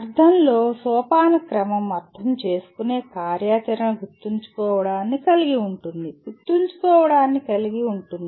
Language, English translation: Telugu, Hierarchy in the sense understand activity involves remembering, can involve remembering